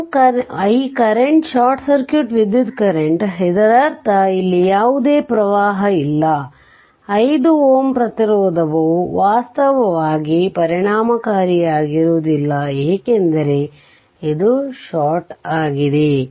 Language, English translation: Kannada, So, this current we are taking i what you call that your short circuit current; that means, here no current here 5 5 ohm this thing resistance actually it will ineffective the because this is shorted